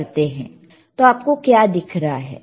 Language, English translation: Hindi, What you will able to see